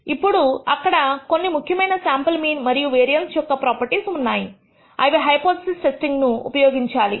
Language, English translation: Telugu, Now, there are some important properties of the sample mean and variance which we will use in hypothesis testing